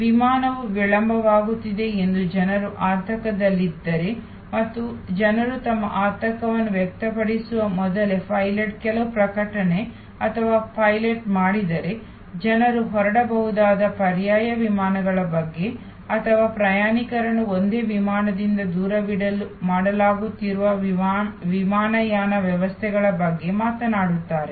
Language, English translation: Kannada, If people are anxious that the flight is getting delayed and the pilot makes some announcement or the pilot even before people express their anxiety, talks about alternate flights that people can take off or the airline arrangements that are being made to put the passengers from one flight to the other flight